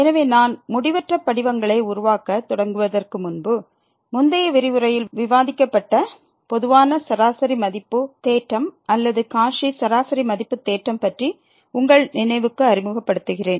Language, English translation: Tamil, So, before I start to indeterminate forms let me just introduce your recall from the previous lecture, the generalized mean value theorem or the Cauchy mean value theorem which was discussed in previous lecture